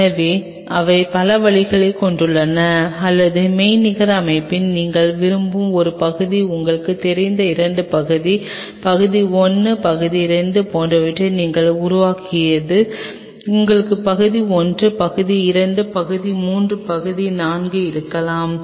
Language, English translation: Tamil, So, they have multiple ways or the one which we kind of in virtual system develop like you known two part, part 1 part 2 you may have part one, part two, part three, part four